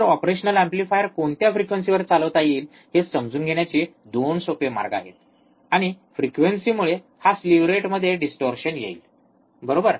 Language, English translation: Marathi, So, there is a 2 way or easier way to understand at what frequency operational amplifier can be operated, and frequency well this slew rate will be distorted, right